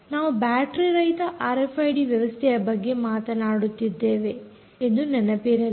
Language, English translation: Kannada, remember we are talking about battery less r f i d systems